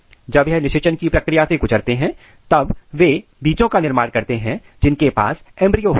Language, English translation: Hindi, When they undergo the process of fertilization they makes seed which contains embryo